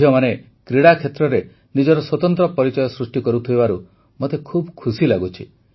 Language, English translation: Odia, I am especially happy that daughters are making a new place for themselves in sports